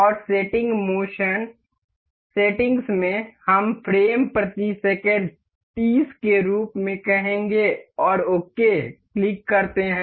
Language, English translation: Hindi, And in the settings, motion settings, we will make the frames per second as say 30, you click ok